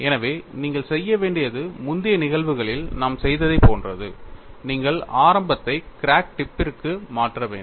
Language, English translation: Tamil, So, what you will have to do is like we have done in the earlier cases, you have to shift the origin to the crack tip